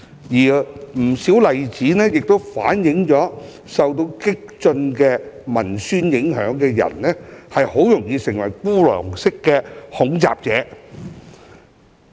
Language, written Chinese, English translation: Cantonese, 不少例子亦反映，受到激進文宣影響的人很容易成為孤狼式恐襲者。, Many examples also showed that those affected by radical promotional materials will easily become lone - wolf terrorists